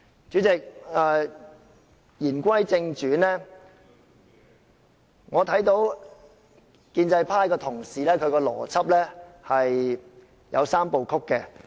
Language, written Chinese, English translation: Cantonese, 主席，言歸正傳，我看到建制派同事的邏輯有"三步曲"。, I note that the logic of colleagues from the pro - establishment camp includes the three - step process